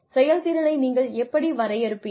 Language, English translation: Tamil, How do you define effectiveness